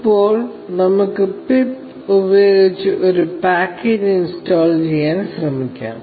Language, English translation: Malayalam, Now, let us try to install a package using pip